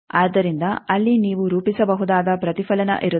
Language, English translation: Kannada, So, there will be reflection that you can plot